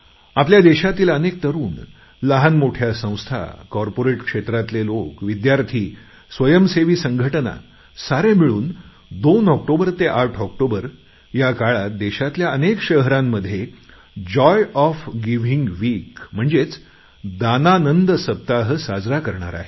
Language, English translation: Marathi, Now, many youngsters, small groups, people from the corporate world, schools and some NGOs are jointly going to organize 'Joy of Giving Week' from 2nd October to 8th October